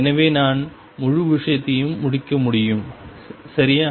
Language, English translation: Tamil, So, that we can compete the whole thing, right